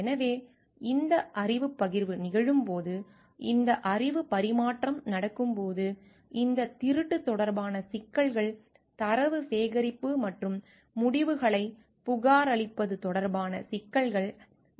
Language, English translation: Tamil, So, when this knowledge sharing is happening, when this knowledge transfer is happening, issues related to these authorship issues related to plagiarism, issues related to data collection and reporting of results becomes important